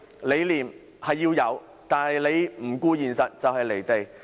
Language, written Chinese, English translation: Cantonese, 理念的確需要，但不能不顧現實，否則就會"離地"。, We do need to have vision but not in disregard of the reality . Otherwise it will be unrealistic